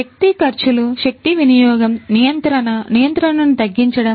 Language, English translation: Telugu, Reducing energy expenses, energy usage, regulatory control